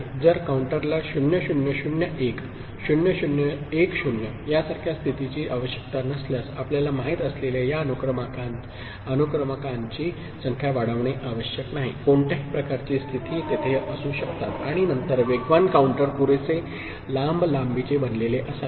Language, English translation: Marathi, If the counter does not require states to be like 0 0 0 1, 0 0 1 0 that kind of you know, these sequential numbers you know, increment is not required any kind of states can be there and then, a fast counter can be made of sufficiently long length